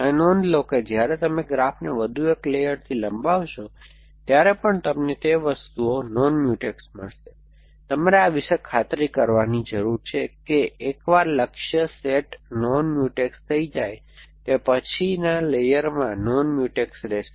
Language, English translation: Gujarati, Now, notice that when you extend the graph by one more layer, you will still get those things non Mutex or you mean, you need to convinced about this that once a goal set is non Mutex, it will remain non Mutex in the next layer also